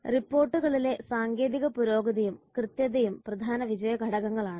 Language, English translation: Malayalam, Technological advancement and accuracy in the reports are the key success factors